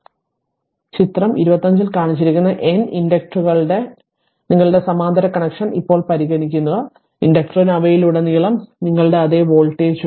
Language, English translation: Malayalam, So, now consider the your parallel connection of N inductors that shown in figure 25, the inductor have the same voltage your across them